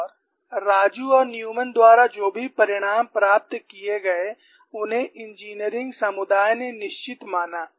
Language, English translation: Hindi, And whatever the results that were obtained by Raju and Newman were considered by the engineering community to be definitive